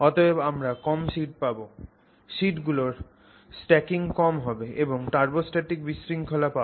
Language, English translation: Bengali, So you will will have smaller sheets, lesser number of stacking and turbostatic disorder